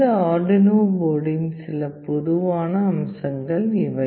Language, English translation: Tamil, These are some typical features of this Arduino board